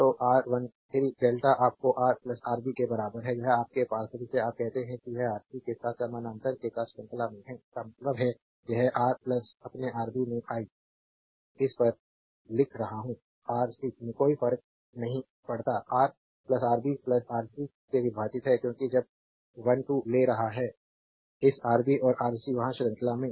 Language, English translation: Hindi, Therefore, R 1 3 delta right is equal to is equal to your Ra plus Rb this is in is your what you call this is are this 2 are in series with that with parallel with Rc; that means, it is Ra plus your Rb right this one into I am writing on it does not matter into Rc divided by Ra plus Rb plus Rc because when you take 1 3; this Rb and Rc Ra there in series right